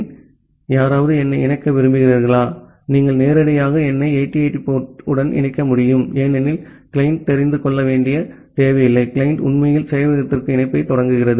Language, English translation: Tamil, So, anyone wants to connect to me, you can directly connect to me at port 8080 that the client do not need to know because the client is actually initiating the connection to the server